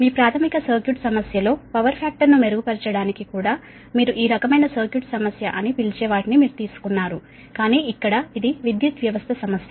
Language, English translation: Telugu, you have whatever you have done in your basic circuit problem also to improve the power factor, you might have taken many your what you call such kind of circuit problem, but here it is power system problem, right